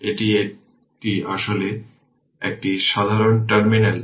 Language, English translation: Bengali, And as this is actually common terminal so right